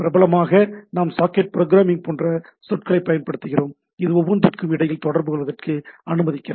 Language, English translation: Tamil, And popularly what we use the term like socket programming and so and so forth, which allows me to communicate between each other